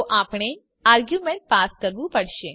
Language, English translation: Gujarati, So we need to pass arguments